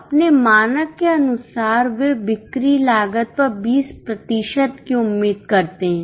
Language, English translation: Hindi, As per their norm, they expect 20% on their cost of sales